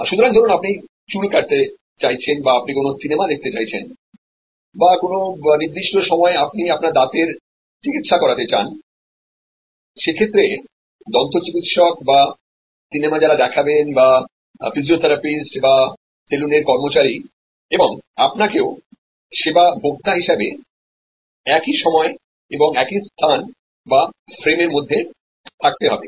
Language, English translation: Bengali, So, whether you are looking for a hair cut or you are wanting to see a movie or at a particular point of time or you are wanting to get your dental treatment, the service provider, the dentist or the movie projection or the physiotherapist or the saloon personal and you as a service consumer must be there at the same place within the same time and space frame work